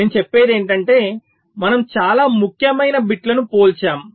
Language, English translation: Telugu, so what i am saying is that we compare the most significant bits